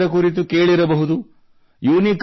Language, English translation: Kannada, You all must have heard about it